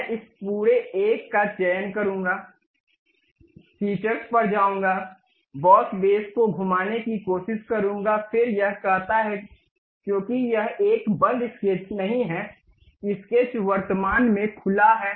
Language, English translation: Hindi, I will select this entire one, go to features, try to revolve boss base, then it says because it is not a closed sketch, the sketch is currently open